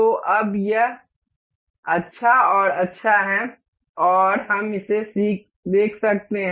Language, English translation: Hindi, So, now it is nice and good, and we can see this